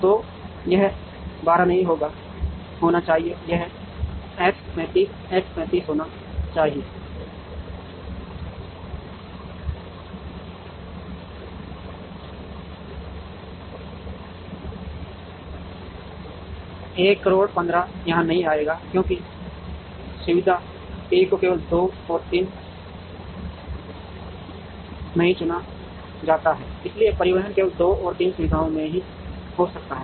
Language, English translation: Hindi, So, this should not be 1 2, this is X 3 5, X 3 5 should be 100000 1 5 would not come here, because facility one is not chosen only 2 and 3 are chosen, so the transportation can happen only from facilities 2 and 3